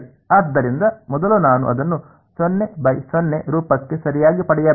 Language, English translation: Kannada, So, first I have to get it into a 0 by 0 form right